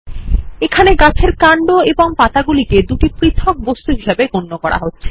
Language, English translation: Bengali, Here the Tree trunk and the two Leaves are treated as separate objects